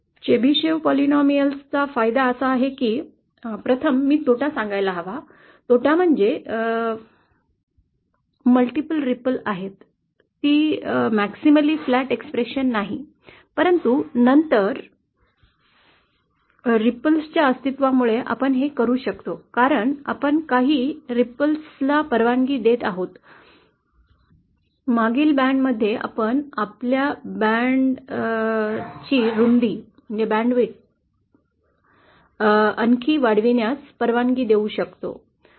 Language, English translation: Marathi, The advantage of the Chebyshev polynomial is that, first I should say the disadvantage, the disadvantage is that there are multiple ripple, it is not a maximally flat expression, but then because of the presence of ripple, we can because we are allowing some ripples in the past band, we can allow our band width to be further expanded